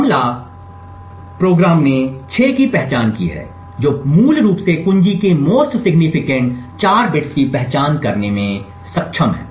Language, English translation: Hindi, The attack program has identified 6 essentially has been able to identify the most significant 4 bits of the key